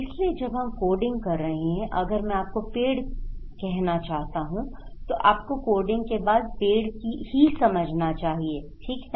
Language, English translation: Hindi, So, when we are codifying, if I want to say you tree, you should understand after the coding is as tree, okay